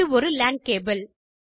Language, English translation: Tamil, This is a LAN cable